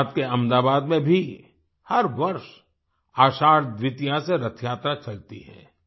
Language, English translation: Hindi, In Ahmedabad, Gujrat too, every year Rath Yatra begins from Ashadh Dwitiya